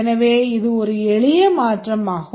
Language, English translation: Tamil, So, this is a simple translation